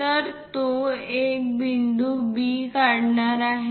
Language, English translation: Marathi, So, it is going to make a point B